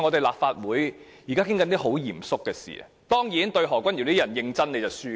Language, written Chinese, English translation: Cantonese, 立法會正在討論很嚴肅的事情，但面對何君堯議員這種人，認真便輸了。, The Legislative Council is holding discussions on solemn matters but in the face of people like Dr Junius HO your will lose if you are serious